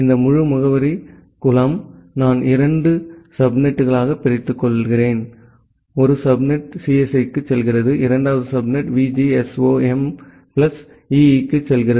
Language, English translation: Tamil, This entire address pool, I have divided into two subnet, one subnet is going to CSE, and the second subnet is going to VGSOM plus EE